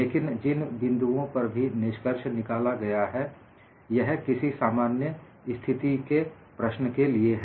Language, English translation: Hindi, But whatever the points that are summarized, it is for any generic problem situation